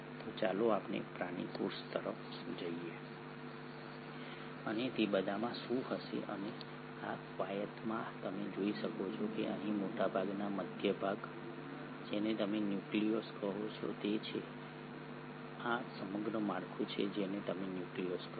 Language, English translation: Gujarati, So let us look at the animal cell and what all it will contain and in this exercise you can see the central most part here is what you call as is the nucleolus, this entire structure is what you call as the nucleus